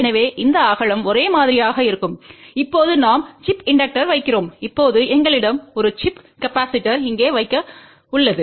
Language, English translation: Tamil, So, this width will be same and now we put the chip inductor and now we have to put a chip capacitor here